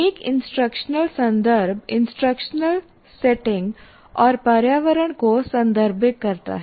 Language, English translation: Hindi, So an instructional context refers to the instructional setting and environment